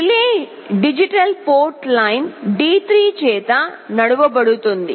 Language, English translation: Telugu, The relay will be driven by digital port line D3